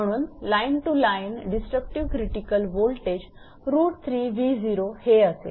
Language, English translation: Marathi, This is that line to line disruptive critical voltage